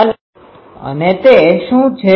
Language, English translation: Gujarati, What is the meaning